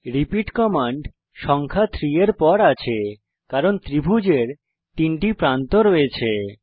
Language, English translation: Bengali, repeat command is followed by the number 3, because a triangle has 3 sides